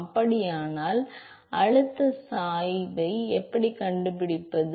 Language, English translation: Tamil, How do you find the pressure gradient